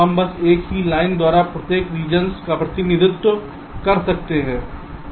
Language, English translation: Hindi, we can simply represent each of the regions by a single line